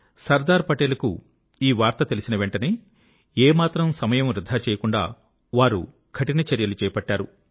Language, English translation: Telugu, When Sardar Patel was informed of this, he wasted no time in initiating stern action